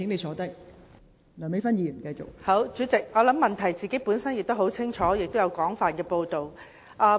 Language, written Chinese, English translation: Cantonese, 好，代理主席，我想問題本身已經十分清楚，並已有廣泛的報道。, All right Deputy President . I think the problems are already clear and they have been widely reported